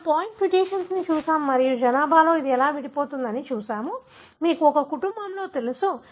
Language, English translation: Telugu, So, we have looked at point mutation and we have looked at how it segregates in the population, you know in a family